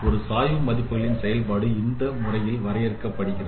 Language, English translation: Tamil, So a gradient operation could be is defined in this way